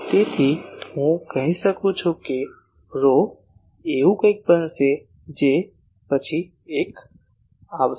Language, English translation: Gujarati, So, I can say that rho will be something like rho r into something that will come one by one